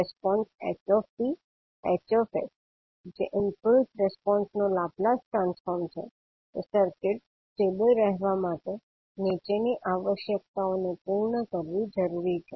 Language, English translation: Gujarati, The impulse response ht, Hs that is the Laplace Transform of the impulse response ht, must meet the following requirement in order to circuit to be stable